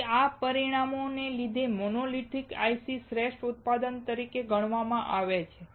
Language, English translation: Gujarati, So, because of these parameters, monolithic ICs are considered as best of manufacturing